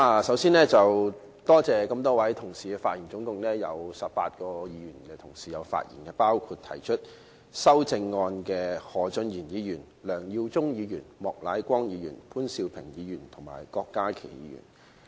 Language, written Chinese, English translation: Cantonese, 首先，多謝這麼多位同事發言，總共有18位議員同事發言，包括提出修正案的何俊賢議員、梁耀忠議員、莫乃光議員、潘兆平議員和郭家麒議員。, Before all else I would like to thank so many Honourable colleagues for their speeches . Eighteen Members in total including Mr Steven HO Mr LEUNG Yiu - chung Mr Charles Peter MOK Mr POON Siu - ping and Dr KWOK Ka - ki movers of the amendments have spoken